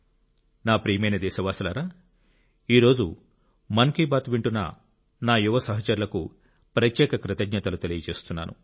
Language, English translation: Telugu, My dear countrymen, today I wish to express my special thanks to my young friends tuned in to Mann ki Baat